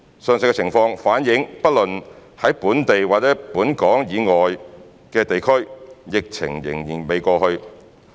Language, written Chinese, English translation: Cantonese, 上述情況反映不論在本地或本港以外的地區，疫情仍未過去。, The above situation reflects that the epidemic is yet to be over whether in Hong Kong or places outside Hong Kong